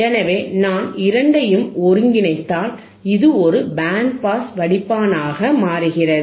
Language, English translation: Tamil, So, if I integrate both, it becomes a band pass filter,